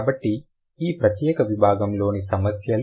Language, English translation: Telugu, Okay, so these are the issues in this particular section